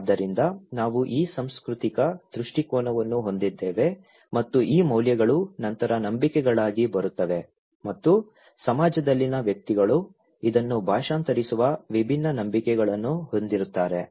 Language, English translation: Kannada, So, we have this cultural perspective and these values then come into beliefs, okay and individuals in a society have different beliefs that translate this one